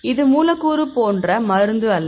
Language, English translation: Tamil, a drug like small molecule